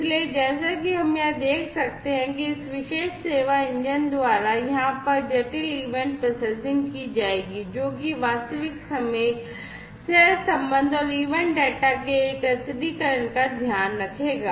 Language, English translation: Hindi, So, as we can see over here complex event processing will be performed by this particular service engine over here, which will take care of real time correlation and aggregation of the event data